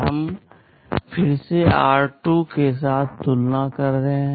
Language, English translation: Hindi, We are again comparing r2 with 10